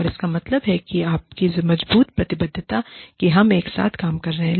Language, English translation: Hindi, And, this means, that your stronger commitment, we are doing it together